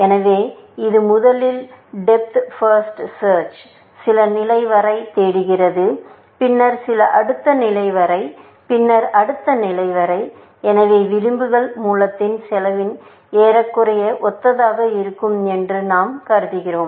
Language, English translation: Tamil, So, it would first do depth first search up to some level, then up to some next level, then up to next level; so we are assuming that edges are sort of roughly similar in cost in source